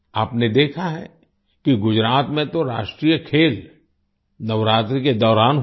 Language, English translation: Hindi, You have seen that in Gujarat the National Games were held during Navratri